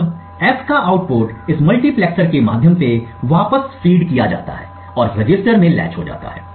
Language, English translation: Hindi, Now the output of F is fed back through this multiplexer and gets latched in this register